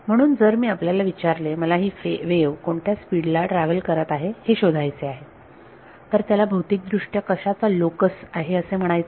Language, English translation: Marathi, So, if I ask you if I want to find out at what speed is this wave travelling then what is that physically known as is the locus of